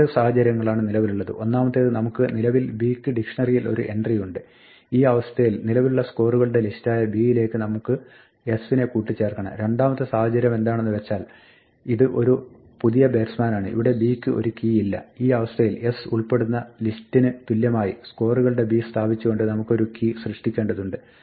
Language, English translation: Malayalam, Now there are two situations one is that we already have an entry for b in the dictionary in which case we want to append s to the existing list scores of b the other situation is that this is a new batsman, there is no key for b in which case we have to create a key by setting scores of b equal to the list containing s right